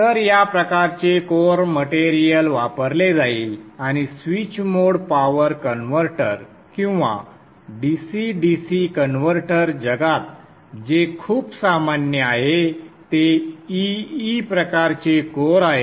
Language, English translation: Marathi, So something like this type of core material we will be using and what is very common in the switched mode power converter or DCDC converter world is the EE type of core